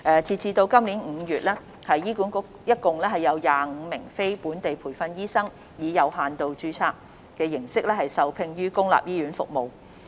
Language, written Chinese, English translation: Cantonese, 截至今年5月，醫管局共有25名非本地培訓醫生以有限度註冊形式受聘於公立醫院服務。, As at May this year there are 25 non - locally trained doctors working in HA public hospitals under limited registration